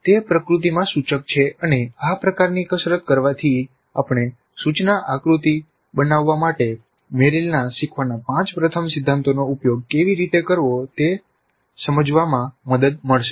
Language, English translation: Gujarati, It is prescriptive in nature and doing this kind of an exercise would help us to understand how to use Merrill's five first principles of learning in order to design instruction